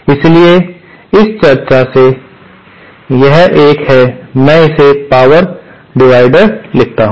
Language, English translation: Hindi, So, from this discussion, this is a, let me write it down, power divider